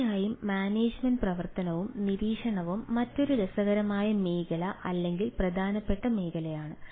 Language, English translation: Malayalam, of course, the management, operation and monitoring is another ah interesting area or important area